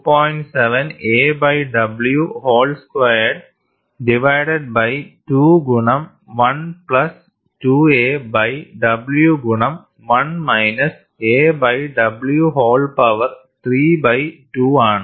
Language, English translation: Malayalam, 7 a by w whole squared divided by 2 into 1 plus 2 a by w multiplied by 1 minus a by w whole power 3 by 2